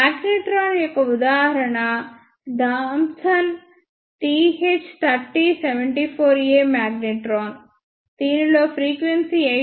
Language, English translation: Telugu, The example of the magnetron is Thomson TH3074A magnetron in which the frequency ranges from 8